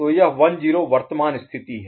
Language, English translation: Hindi, So this 1 0 becomes the current state